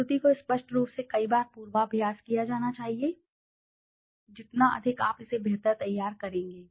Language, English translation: Hindi, The presentation should be rehearsed several times obviously, the more you prepare the better it is